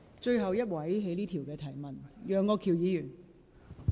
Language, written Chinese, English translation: Cantonese, 最後一位提問的議員。, The last Member to put a supplementary question